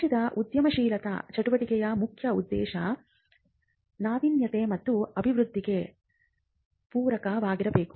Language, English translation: Kannada, Now, the focus of the entrepreneurial activity of the state should be on innovation led growth